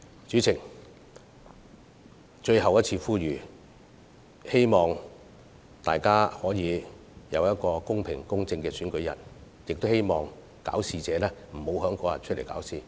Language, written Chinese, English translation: Cantonese, 主席，且讓我作最後一次呼籲：我希望大家能有一個公平公正的選舉日，亦希望搞事者不要在當天出來搞事。, President let me make this appeal just one last time I wish everybody a fair and impartial polling day while urging those trouble - makers to stop causing trouble that very day